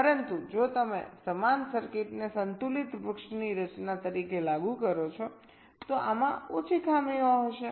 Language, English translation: Gujarati, but if you implement the same circuit as a balanced tree structure, this will be having fewer glitches